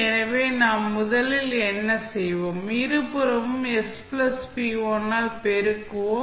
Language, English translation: Tamil, So, what we will do first, we will multiply both side by s plus p1